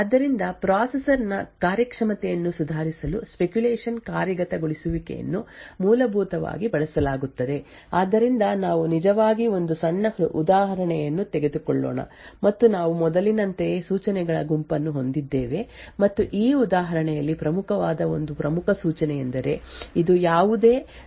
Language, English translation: Kannada, So speculative execution is used essentially to improve the performance of the processor, so let us actually take a small example and we have a set of instructions as before and one important instruction that is important for this example is this this is a jump on no 0 to a label